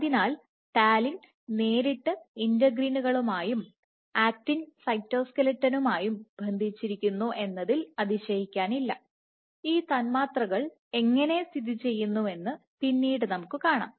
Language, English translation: Malayalam, So, this perhaps not surprising that talin directly binds to integrins as well as to the actin cytoskeleton, later on in today we will see how these molecules are located